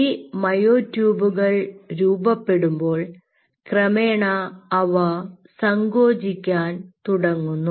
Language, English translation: Malayalam, these myotubes will eventually, as their form, they will start contracting